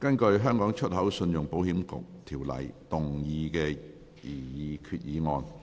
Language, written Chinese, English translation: Cantonese, 根據《香港出口信用保險局條例》動議的擬議決議案。, Proposed resolution under the Hong Kong Export Credit Insurance Corporation Ordinance